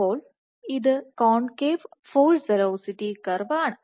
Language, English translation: Malayalam, So, it is concave its nature, the concave force velocity curve